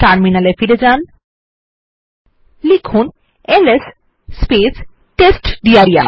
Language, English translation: Bengali, Go back to the terminal and type ls testdir